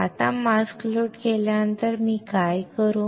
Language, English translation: Marathi, Now after loading the mask what I will do